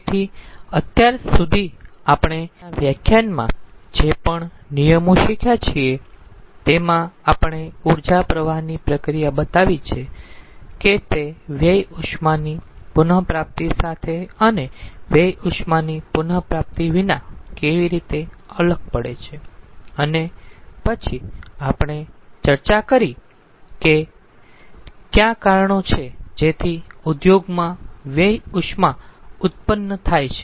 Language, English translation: Gujarati, so so far, whatever law we have learned we have in the in the in the present lecture which we have learned, we have shown the energy flow process, how ah it differs without waste heat recovery and with waste heat recovery, and then we have discussed that what are the reasons so that an industry there is generation of waste heat